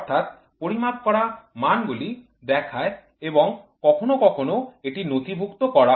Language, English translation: Bengali, So, the quantities measured are indicated and sometimes it is also recorded